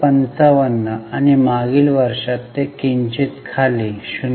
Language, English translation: Marathi, 55 and in last year it has slightly come down to 0